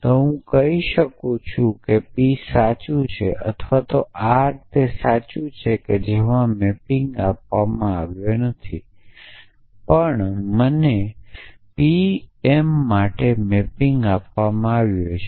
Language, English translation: Gujarati, So, I am I it is say p is true or r it is true in which a off course, a do not I am not given the mapping, but I am given the mapping for pm also